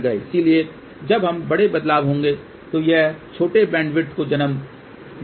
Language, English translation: Hindi, So, whenever there are larger variations it will give rise to smaller bandwidth